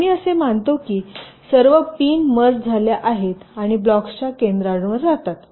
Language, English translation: Marathi, so we assume that all the pins are merged and residing at the centers of the blocks